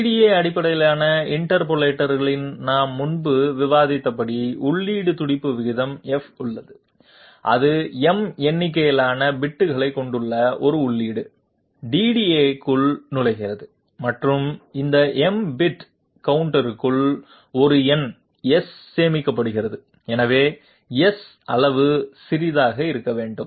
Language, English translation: Tamil, Now let us see a DDA based interpolator, in the DDA based interpolator as we have discussed previously there is an input pulse rate F, it enters a feed DDA which is having m number of bits and inside this m bit counter a number S is stored, so S has to be smaller in size compared to 2 to the power m 1 that that can be the maximum size of S